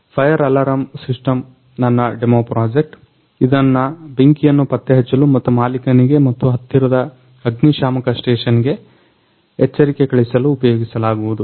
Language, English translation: Kannada, My demo project is fire alarm system, which are used to detect the fire and send an alert the message to owner and the nearest fire station